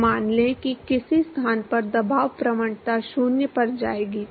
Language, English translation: Hindi, So, let us say at some location the pressure gradient will go to 0